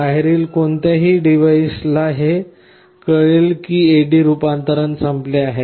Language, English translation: Marathi, So, any device outside will know that my A/D conversion is over